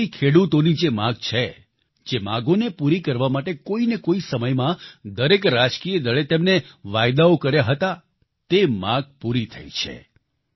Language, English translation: Gujarati, The demands that have been made by farmers for years, that every political party, at some point or the other made the promise to fulfill, those demands have been met